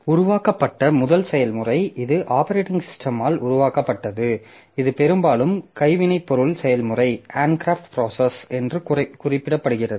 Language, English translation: Tamil, So, the first process that is created so there also this is the this is created by the operating system and this is also very often referred to as the as a handcrafted process